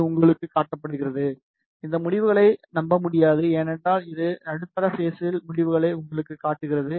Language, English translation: Tamil, It is showing you it cannot rely on these results, because it is showing you the results of the middle stage